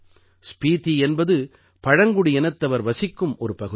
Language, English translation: Tamil, Spiti is a tribal area